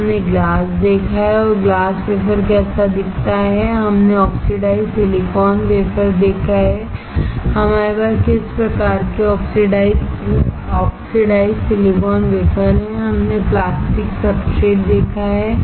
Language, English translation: Hindi, Then we have seen glass and how glass wafer looks like, we have seen oxidized silicon wafer, what kind of oxidized silicon wafer we had, we have seen plastic substrate